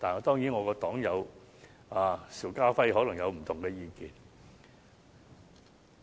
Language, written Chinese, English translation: Cantonese, 當然，我的黨友邵家輝議員可能有不同意見。, Of course my party comrade Mr SHIU Ka - fai may have a different view